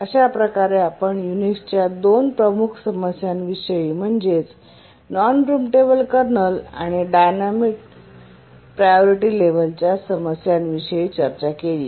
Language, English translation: Marathi, So we just saw two major problems of Unix, non preemptible kernel and dynamic priority levels